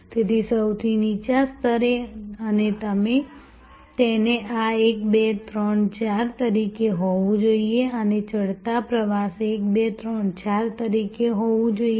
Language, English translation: Gujarati, So, at the lowest level and it should be seen as this 1, 2, 3, 4, this should be seen as an ascending journey 1, 2, 3, 4